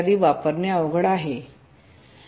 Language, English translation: Marathi, will be difficult to use